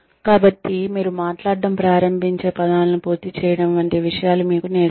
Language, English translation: Telugu, So, you are taught things like, completing the words, that you begin speaking